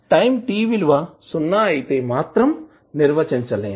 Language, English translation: Telugu, At time t is equal to 0 it will be undefined